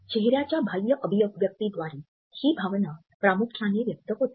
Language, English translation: Marathi, The main way a person communicates this emotion is through external expressions of the face